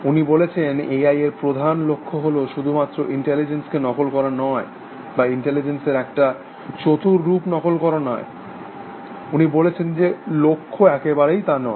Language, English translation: Bengali, He says, that the fundamental goal of A I, is not merely to mimic intelligence or produce some cleaver fake of intelligence, he says that not the goal at all